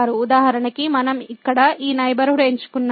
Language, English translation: Telugu, So, for example, we have chosen this neighborhood here